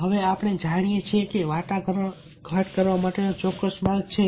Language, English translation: Gujarati, now there are certain path of negotiation